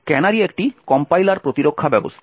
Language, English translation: Bengali, So, canary is a compiler defense mechanism